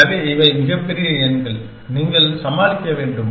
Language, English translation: Tamil, So, these are the very large numbers that, you have to tackle